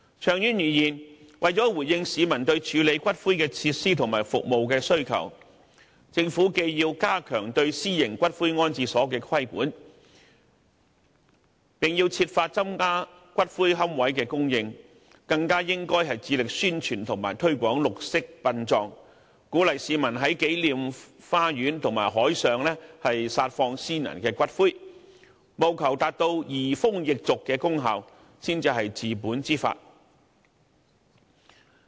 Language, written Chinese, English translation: Cantonese, 長遠而言，為了回應市民對處理骨灰的設施和服務的需求，政府既要加強對私營骨灰安置所的規管，並要設法增加骨灰龕位的供應，更應致力宣傳和推廣綠色殯葬，鼓勵市民在紀念花園和海上撒放先人的骨灰，務求達到移風易俗的功效，才是治本之法。, In the long term the Government should enhance the regulation of private columbaria and seek to increase the supply of niches to meet the public demand for columbarium facilities and services . More importantly the Government should strive to promote green burial and encourage the public to scatter ashes of deceased persons in gardens of remembrance and the sea with a view to facilitating changes in the customs and traditions . That will be a fundamental solution to the problem